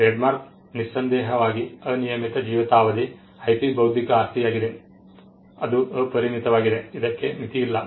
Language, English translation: Kannada, The trademark without doubt is an unlimited life IP intellectual property it is unlimited there is no limit to it